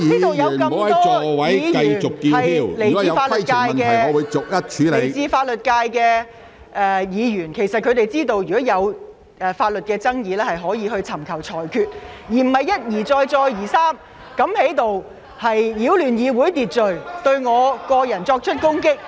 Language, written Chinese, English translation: Cantonese, 本會有很多來自法律界的議員，他們應該明白，如有法律爭議，理應尋求裁決，而不應一而再、再而三在此擾亂議會秩序，對我作出人身攻擊。, In this Council many Members are from the legal sector and they should know that adjudication is the right way to solve legal disputes . It is wrong for them to disrupt the order of the Council repeatedly and launch personal attacks against me